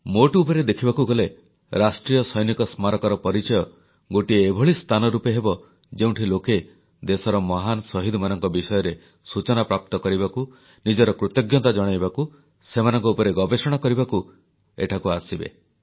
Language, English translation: Odia, If you take a holistic view, the National Soldiers' Memorial is sure to turn out to be a sacred site, where people will throng, to get information on our great martyrs, to express their gratitude, to conduct further research on them